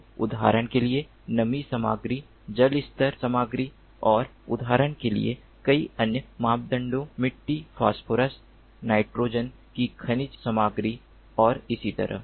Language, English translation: Hindi, the soil parameters so, for example, moisture content, water level content and many other parameters, for example, the mineral content of the soil, phosphorus, nitrogen and so on